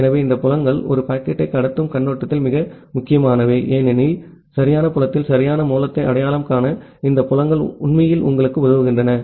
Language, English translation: Tamil, So, these fields are very important from the perspective of transmission of a packet because these fields actually help you to identify the correct source at the correct destination